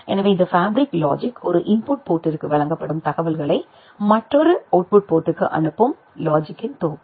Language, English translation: Tamil, So, this fabric logic, a set of logic gates which actually forward the information which is fed to a one input port to another output port